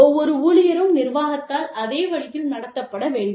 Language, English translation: Tamil, Every employee should be treated, the exact same way by the administration